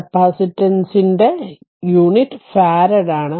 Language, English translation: Malayalam, And the unit of the capacitance is farad right